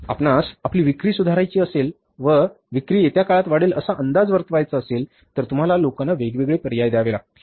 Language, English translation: Marathi, So, if you want to improve your sales, if you forecast that our sales will go up in the time to come, you have to give the choice to the people